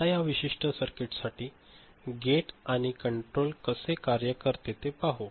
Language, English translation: Marathi, Now, let us see how the gate and control works for this particular circuit